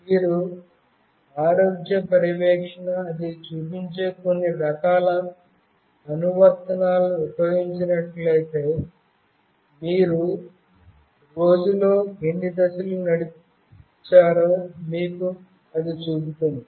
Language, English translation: Telugu, If you have used some kind of apps like health monitoring, what it shows, it shows you that how many steps you have walked in a day